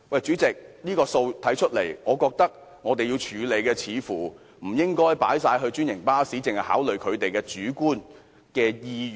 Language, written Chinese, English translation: Cantonese, 主席，從這個數字來看，我認為在這問題上，不應只考慮專營巴士的主觀意願。, President based on this figure I am of the view that we should not only consider the subjective wish of franchised bus companies on this issue